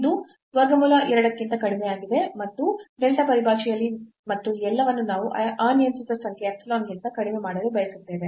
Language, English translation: Kannada, So, this is less than square root 2 and in terms of delta and this everything we want to make less than the arbitrary number epsilon